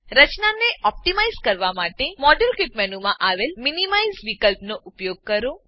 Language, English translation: Gujarati, Use minimize option in the modelkit menu to optimize the structure